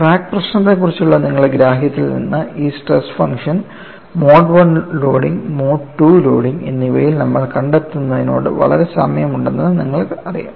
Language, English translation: Malayalam, And from your understanding of the crack problem, you know this stress function is very similar to what we have seen in the case of mode 1 loading as well as mode 2 loading